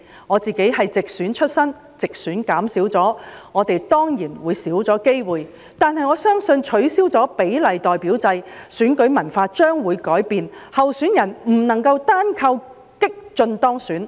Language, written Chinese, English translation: Cantonese, 我是直選出身，直選議席減少了，我們當然會少了機會，但我相信在取消比例代表制後，選舉文化將會改變，候選人不能單靠激進當選。, I am a Member returned by direct election . As there will be fewer directly elected seats we will certainly have fewer chances . Yet I believe with the abolition of the proportional representation system the election culture will change for candidates cannot soley rely on radical actions to get elected